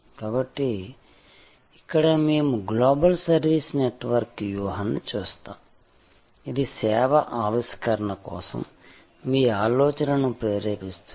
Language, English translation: Telugu, So, here we look at the global service network strategy, this is to inspire your thinking for service innovation